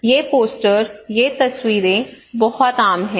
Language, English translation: Hindi, These posters, these pictures are very common right